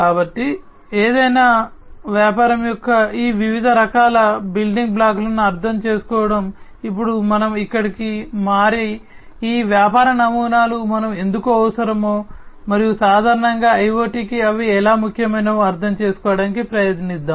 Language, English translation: Telugu, So, having understood all these different types of building blocks of any business; let us now switch our here, and try to understand that why we need these business models, and how they are important for IoT, in general